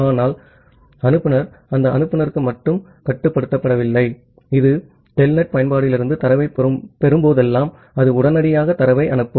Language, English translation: Tamil, But sender is not restricted to that sender is that whenever it will get data from the telnet application it will immediately send the data